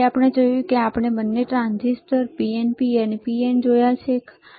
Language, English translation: Gujarati, Then we have seen we have seen transistors both the transistors transistor PNP NPN transistors, right